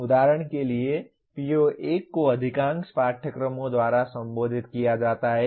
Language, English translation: Hindi, For example PO1 is addressed by most of the courses